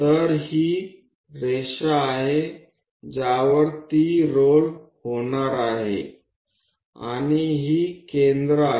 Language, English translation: Marathi, So, this is the line on which it is going to roll, and these are the centers